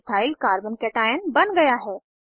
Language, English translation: Hindi, Ethyl Carbo cation(CH3 CH2^+) is formed